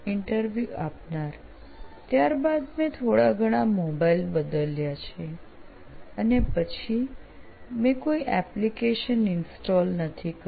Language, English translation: Gujarati, Then after that, like I have changed few mobiles that and then after that I did not install any apps